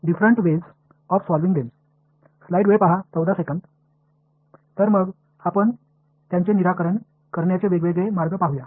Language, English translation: Marathi, So, now let us look at the different ways of solving them